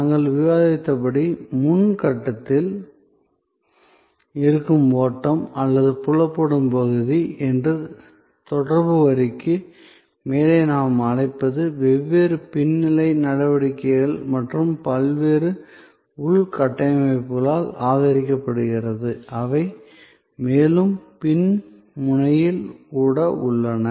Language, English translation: Tamil, And as we have discussed, the flow which is in the front stage or what we call above the line of interaction, which is visible area is supported by different back stage actions and different infrastructure, which are even at the further back end